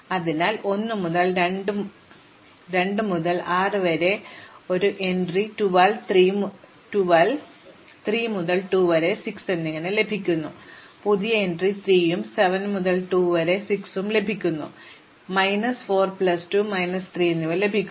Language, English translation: Malayalam, So, 1 to 2 to 6, so I get a new entry 12, 3 to 2 to 6, so I get new entry 3 and 7 to 2 to 6, I get minus 4 plus 2 minus 3